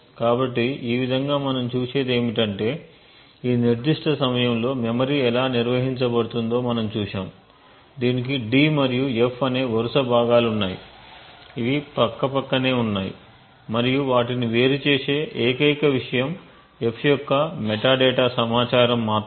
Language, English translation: Telugu, So in this way what we see is that we have seen how the memory is organized at this particular point in time, it has contiguous chunks of d and f which has placed side by side and the only thing which separates them is some metadata information for the f